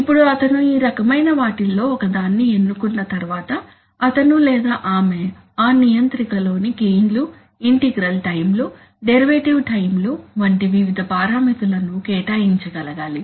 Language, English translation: Telugu, Now once he selects one of these types he or she should be able to assign the various parameters in that controller like gains, integral times, derivative times extra